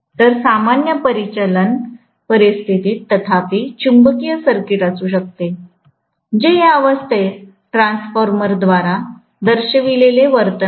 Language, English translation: Marathi, So, under normal operating conditions, however the magnetic circuit may be, that is what is the behaviour depicted by the transformer under this condition